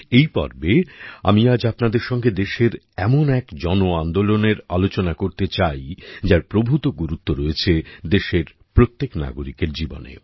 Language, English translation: Bengali, In this episode, I want to discuss with you today one such mass movement of the country, that holds great importance in the life of every citizen of the country